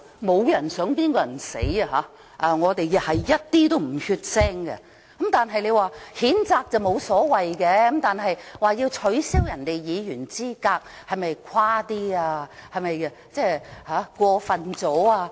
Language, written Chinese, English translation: Cantonese, 沒有人想別人死，我們一點都不血腥，但他們說譴責沒有所謂，要取消議員資格的話，是否太誇張，太過分？, We do not wish to see someone beheaded; we do not have a lust for blood . They think it is acceptable to censure Mr Holden CHOW but disqualifying him from office is over the top